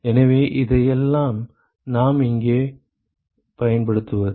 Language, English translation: Tamil, So, where do we use all this